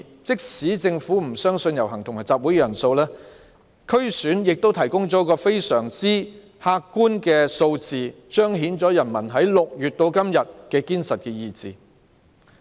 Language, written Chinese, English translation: Cantonese, 即使政府不相信遊行和集會人數，區議會選舉亦提供非常客觀的數字，彰顯了人民由6月至今的堅實意志。, Even if the Government does not believe that so many people have participated in the marches and assemblies the DC Election has provided very objective figures to reflect the unswerving will of the people from June till now